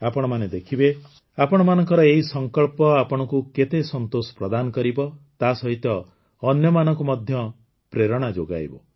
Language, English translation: Odia, You will see, how much satisfaction your resolution will give you, and also inspire other people